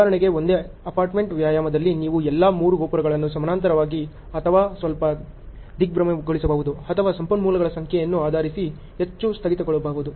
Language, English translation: Kannada, For example, in the same apartment exercise you can have all the 3 towers going on in parallel or little staggered or too much of staggered based on the number of resources